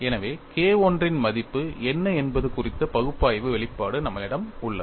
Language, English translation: Tamil, So, we have an analytical expression on what is the value of K 1